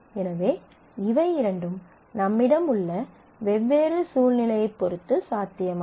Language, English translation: Tamil, So, the both of these are possible depending on different situation that we have